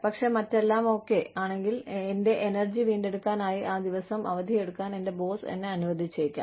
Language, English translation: Malayalam, But, if everything else is taken care of, my boss may permit me, to take that day off